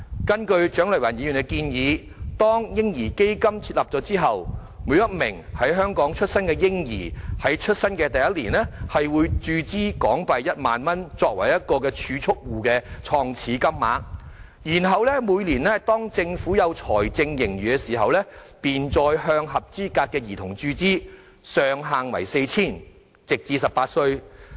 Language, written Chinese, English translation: Cantonese, 根據蔣麗芸議員的建議，當"嬰兒基金"設立後，每名在香港出生的嬰兒於出生首年便會注資1萬元作為個人儲蓄戶的創始金額，然後每年當政府有財政盈餘時，便再向合資格兒童注資，上限為 4,000 元，直至18歲為止。, According to Dr CHIANG Lai - wans proposal upon establishment of the baby fund a sum of HK10,000 will be injected into a personal savings account as the initial deposit of each newborn baby in Hong Kong in the first year after birth . Then every year when the Government records a surplus it will again inject money into the accounts of eligible children up to a ceiling of 4,000 until the age of 18